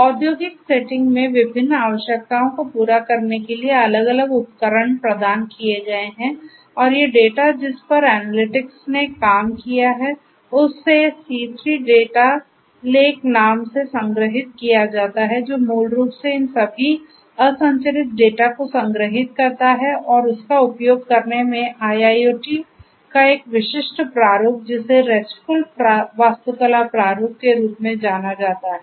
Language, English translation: Hindi, Different tools have tools have been provided catering to the different requirements in the industrial setting and these data based on which the analytics have done are stored in something called the C3 Data Lake, which basically stores all this unstructured data that a typical of IIoT in using some kind of a format which is known as the RESTful architecture format